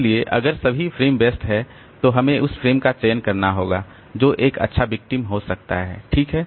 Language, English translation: Hindi, So, if all frames are occupied then we have to select one frame which can be a good victim